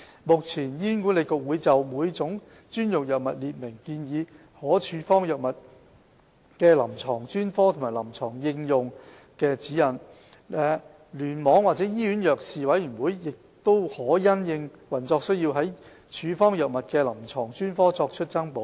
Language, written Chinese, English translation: Cantonese, 目前，醫管局會就每種專用藥物列明建議可處方藥物的臨床專科和臨床應用的指引，聯網或醫院藥事委員會可因應運作需要，就處方藥物的臨床專科作出增補。, HA currently sets out guidelines on the clinical specialties recommended for drug prescription for each type of special drugs as well as the clinical indications of the drugs . The Cluster or the Hospital Drug and Therapeutics Committees may include additional clinical specialties internally for drug prescription for operational needs